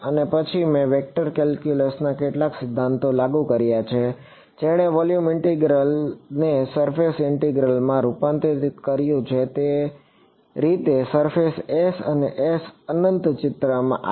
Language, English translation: Gujarati, And, then I applied some theorems of vector calculus which converted a volume integral into a surface integral that is how the surface S and S infinity came into picture